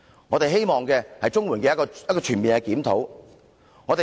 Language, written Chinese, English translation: Cantonese, 我們希望政府作出全面檢討。, We hope the Government will conduct a comprehensive review